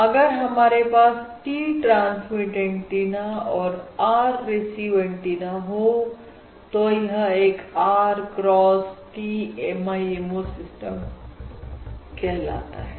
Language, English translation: Hindi, If we have R transmit antennas and R receive antennas, it is it is known as an R cross T MIMO system in general, right